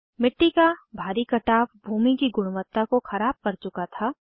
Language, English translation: Hindi, Heavy soil erosion had degraded the land quality